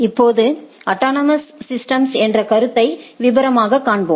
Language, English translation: Tamil, Now, we will see subsequently there is a concept of autonomous systems